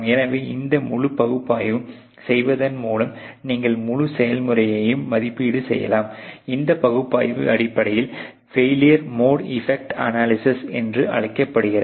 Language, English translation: Tamil, So, that way you can actually do a evaluation of the whole process by doing this whole analysis, this analysis essentially is known as the failure mode effect analysis